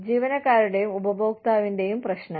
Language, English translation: Malayalam, Employee and customer issues